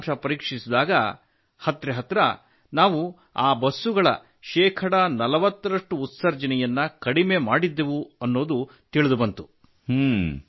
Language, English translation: Kannada, We then checked the results and found that we managed to reduce emissions by forty percent in these buses